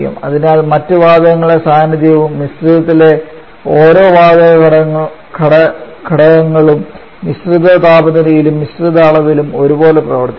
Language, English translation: Malayalam, The properties of a gas or not influence the presence of other gases and each gas component the mixture behaves as if it exist alone in the mixture temperature Tm and mixture volume Vm